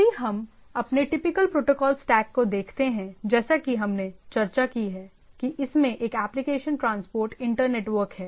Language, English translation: Hindi, So if we look at our typical protocol stack as we have discussed, that it has a application transport internetworking or layer three